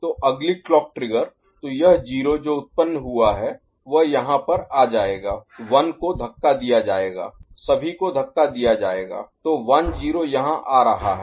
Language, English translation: Hindi, So, next clock trigger so, this 0 that is generated will come over here this 1 will get pushed right everything will get pushed so, 1 0 is coming over here ok